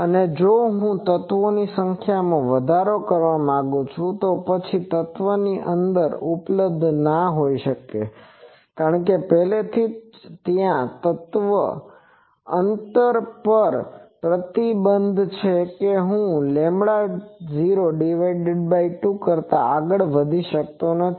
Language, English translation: Gujarati, And also if I want to increase the number of elements, then the element spacing because already there is an restriction on element spacing that I cannot go beyond lambda 0 by 2